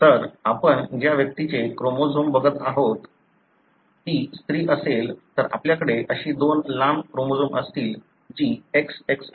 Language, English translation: Marathi, So, if the individual for whom you are looking at the chromosome is a female, you would have two such long chromosomes that is XX